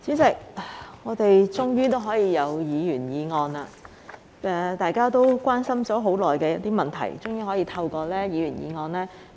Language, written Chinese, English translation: Cantonese, 代理主席，我們終於可以處理議員議案，就大家很關心的議題進行辯論。, Deputy President finally we can deal with Members Motion and debate issues of great public concern